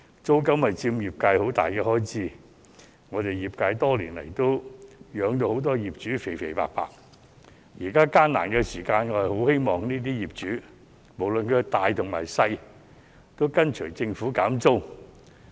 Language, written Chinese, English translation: Cantonese, 租金是業界一項很大的開支，我們業界多年來把很多業主養得"肥肥白白"，現在艱難時期，我很希望不論是大業主還是小業主，也會跟隨政府減租。, Rental is a huge expenditure item for the sectors . Over the years our sectors have been contributing to the handsome profits of landlords . During this difficult period of time I very much hope that both major and minor landlords will follow the Government by cutting rents